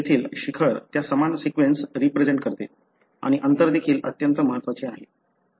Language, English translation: Marathi, The peak here represent that similar sequence and the distance also very critical